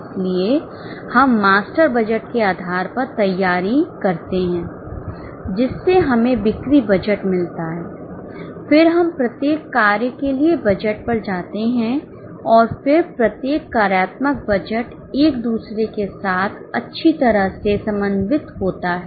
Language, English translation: Hindi, So, we prepare based on the master budget, we go to sales budget, then we go to budget for each function and then each function's budget is well coordinated with each other